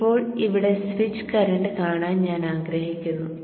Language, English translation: Malayalam, Now I would like to see the switch current here